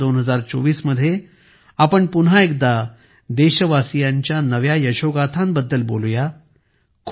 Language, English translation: Marathi, In 2024 we will once again discuss the new achievements of the people of the country